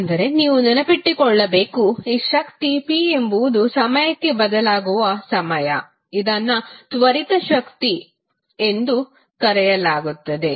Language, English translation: Kannada, But you have to keep in mind this power p is a time varying quantity and is called a instantaneous power